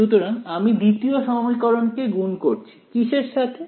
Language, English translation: Bengali, So, I multiply the second equation by what